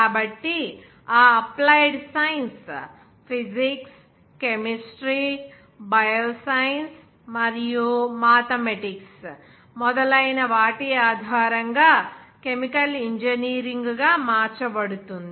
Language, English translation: Telugu, So, that applied science is converted to chemical engineering based on that knowledge of physics, chemistry, bio science, and mathematics, etc